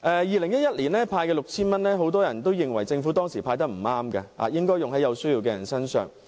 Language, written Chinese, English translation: Cantonese, 2011年派發 6,000 元，當時很多人認為政府不應該"派錢"，應該把錢用在有需要的人身上。, The initiative to hand out 6,000 in 2011 was opposed by many people who thought money should be spent on those in need